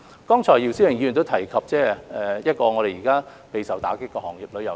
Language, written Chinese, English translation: Cantonese, 剛才姚思榮議員亦提及現時備受打擊的旅遊業。, Just now Mr YIU Si - wing also referred to the hard - hit tourism industry